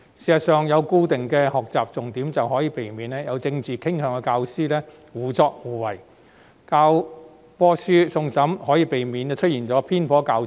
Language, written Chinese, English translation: Cantonese, 事實上，有了固定的學習重點，便可避免有政治傾向的教師胡作非為，而教科書送審亦可避免教材出現偏頗。, As a matter of fact the establishment of learning focus can prevent teachers with political inclination from acting arbitrarily whereas the submission of textbooks for review can prevent the existence of biased teaching materials